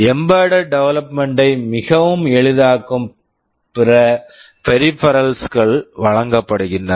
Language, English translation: Tamil, And other peripherals are provided that makes embedded development very easy